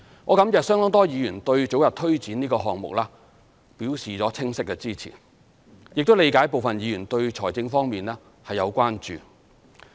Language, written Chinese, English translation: Cantonese, 我感謝相當多議員對早日推展這個項目表示了清晰的支持，亦理解部分議員對財政方面有關注。, I am grateful to quite a number of Members for expressing unequivocal support for the early delivery of the project and appreciate the concern of some Members over the fiscal situation